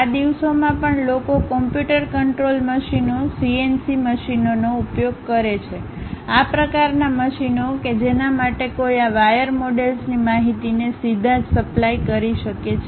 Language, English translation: Gujarati, Even these days people use computer controlled machines, CNC machines; this kind of machines for which one can straight away supply this wire models information